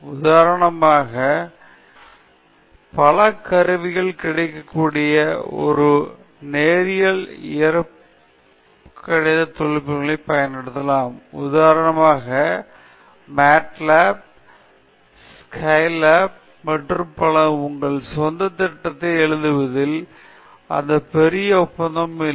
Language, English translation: Tamil, We may as well use the linear algebra techniques for which several tools are available at present, for example, MATLAB, Scilab and so on, or there is no big deal in writing your own program, if you are having inclination towards that okay